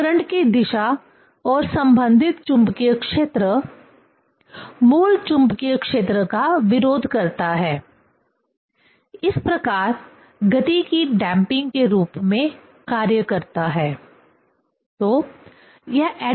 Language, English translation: Hindi, So, the direction of current and the corresponding magnetic field opposes the original magnetic field; thus acts as a damping of motion